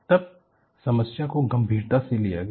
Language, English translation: Hindi, Then the problem was taken up seriously